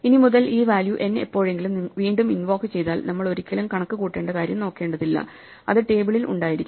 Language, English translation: Malayalam, Henceforth, if this value n is ever invoked again, we never have to look up the thing we never have to compute it; it will be in the table right